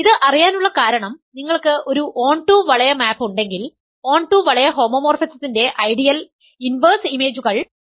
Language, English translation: Malayalam, This we know because, if you have a onto ring map; onto ring homomorphism inverse image of ideals inverse images of ideals are ideals